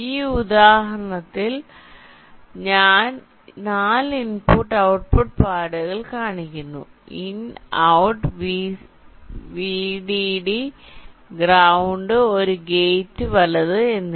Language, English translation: Malayalam, you see, in this example i have shown four input output pads indicating in, out, vdd and ground, and one gate right